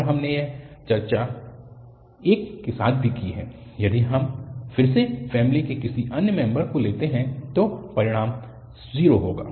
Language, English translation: Hindi, And, we have also discussed that with 1 also, if we take any other member of the family again, the result will be 0